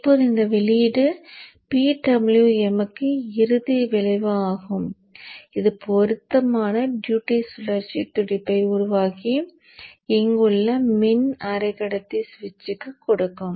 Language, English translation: Tamil, Now this output is finally fed to the PWM which will generate the appropriate duty cycle pulse and give it to the power semiconductor switch here